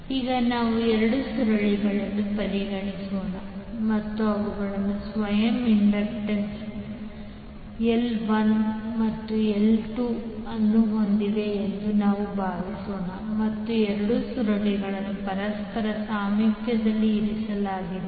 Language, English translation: Kannada, Now let us consider 2 coils and we assume that they have the self inductances L1 and L2 and both coils are placed in a close proximity with each other